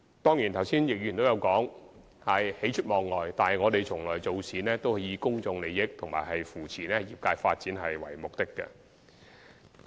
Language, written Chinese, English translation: Cantonese, 當然，剛才易志明議員亦有提及喜出望外，但我們做事從來是以公眾利益和扶持業界發展為目的。, Of course Mr Frankie YICK also mentioned just now that the trades had been pleasantly surprised . However our work objectives have always been upholding public interests and supporting the development of the trades